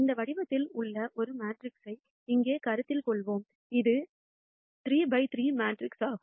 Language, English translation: Tamil, Let us consider a matrix which is of this form here; it is a 3 by 3 matrix